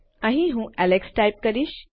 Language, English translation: Gujarati, Here Ill type Alex